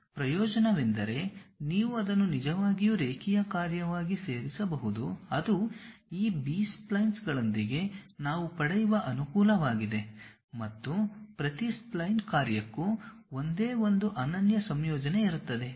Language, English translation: Kannada, The advantage is you can really add it up as a linear function, that is the advantage what we will get with this B splines, and there is only one unique combination for each spline function